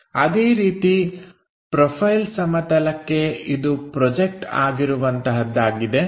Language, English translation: Kannada, Similarly for profile plane this becomes projected one